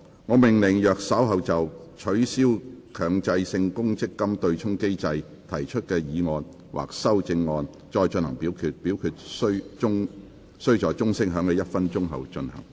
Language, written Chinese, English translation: Cantonese, 我命令若稍後就"取消強制性公積金對沖機制"所提出的議案或修正案再進行點名表決，表決須在鐘聲響起1分鐘後進行。, I order that in the event of further divisions being claimed in respect of the motion on Abolishing the Mandatory Provident Fund offsetting mechanism or any amendments thereto this Council do proceed to each of such divisions immediately after the division bell has been rung for one minute